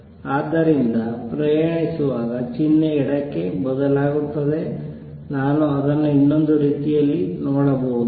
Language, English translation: Kannada, So, travels to the left the sign changes, I can look at it another way